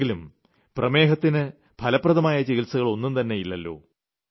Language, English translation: Malayalam, And we know that there is no definite cure for Diabetes